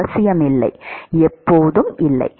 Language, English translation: Tamil, Not necessarily, not always